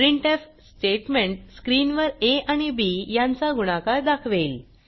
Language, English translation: Marathi, This printf statement displays the product of a and b on the screen